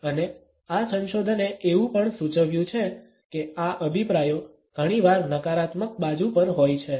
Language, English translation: Gujarati, And this research has also suggested that these opinions often tend to be on the negative side